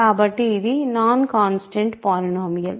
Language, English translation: Telugu, So, it is a non constant polynomial